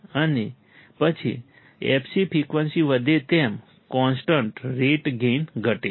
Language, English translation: Gujarati, And after the fc, gain decreases at constant rate as the frequency increases